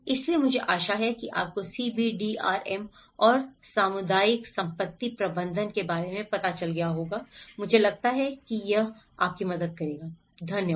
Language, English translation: Hindi, So, I hope you got about an idea of what is CBDRM and the community asset management, I think this will help you, thank you